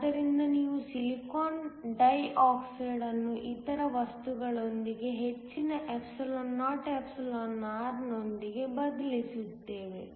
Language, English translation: Kannada, So, we replace the silicon dioxide with other materials with a higher εor